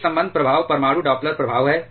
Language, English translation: Hindi, An associated effect is the nuclear Doppler effect